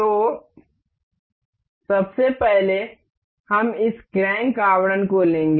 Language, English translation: Hindi, So, first of all we will take this crank casing